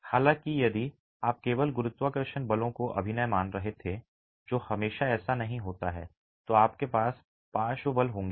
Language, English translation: Hindi, However, if you were to assume only gravity forces acting which is not always the case, you will have lateral forces